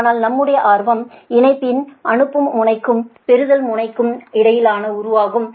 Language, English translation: Tamil, right, but our interest is the relation between the sending end and receiving end of the line